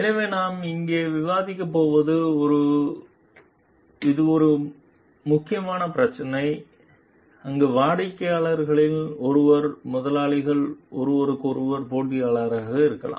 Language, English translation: Tamil, So, what we are going to discuss over here, this is a very critical issue where one of the ones clients are employers may be competitors of one another